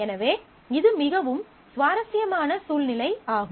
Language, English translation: Tamil, So, it is a very interesting situation